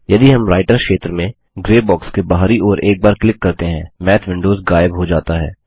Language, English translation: Hindi, If we click once outside the gray box in the Writer area, the Math windows disappear